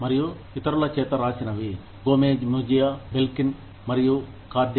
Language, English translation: Telugu, And, the other by Gomez Mejia, Belkin, and Cardy